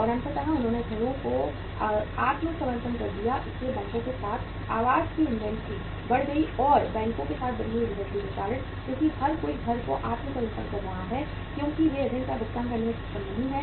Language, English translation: Hindi, And ultimately they surrendered the houses so inventory of the housing increased with the banks and because of the increased inventory with the banks because everybody is surrendering the house as they are not able to pay the loan